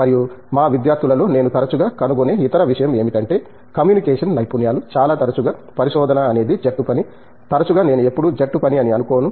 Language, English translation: Telugu, And, the other thing I find often in our students is this communication skills, very often research is team work not often I think always it is a team work now a days